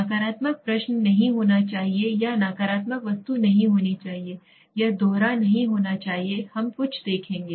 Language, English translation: Hindi, Negative question should not be there or negative item should not be there, it should not be double barreled we will see some